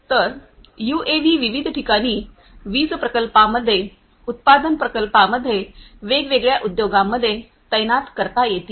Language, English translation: Marathi, So, UAVs could be deployed in various locations in the power plants, in the manufacturing plants, in the different industries and so on